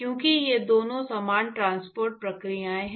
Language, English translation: Hindi, So, because these two are similar transport processes